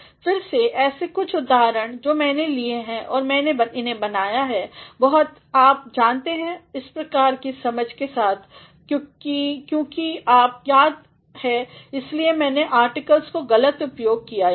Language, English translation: Hindi, Again, there are some quotes which I have taken and I have made it very you know with the sort of understanding that since you remember that is why I have made a bad use of articles here